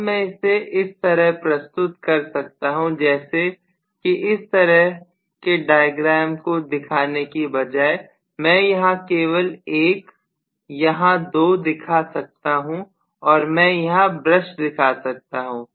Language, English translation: Hindi, Now I can just represent this as though rather than showing the diagram like this, I can just show one here two here and I can show a brush here